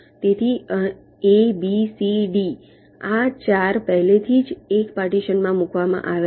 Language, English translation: Gujarati, so a, b, c, d, these four already have been put in one partition